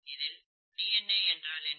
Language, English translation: Tamil, What exactly is DNA, okay